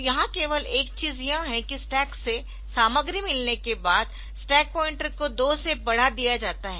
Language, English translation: Hindi, So, here the only thing is that the stack pointer is incremented by two after getting the content from the stack